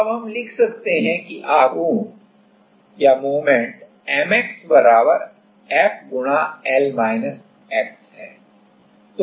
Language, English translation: Hindi, Now, we can write that M x is = F*L x